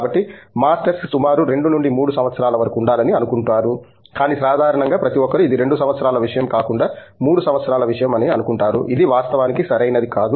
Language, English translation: Telugu, So, masters are supposed to be like about 2 to 3 years, but typically everybody thinks it is a 3 year thing rather than 2 year thing which does’nt have to be actually, right